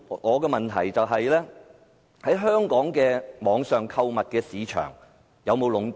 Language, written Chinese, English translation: Cantonese, 我的補充質詢是，香港的網上購物市場有否被壟斷？, Here is my supplementary question . Is the online shopping market in Hong Kong monopolized?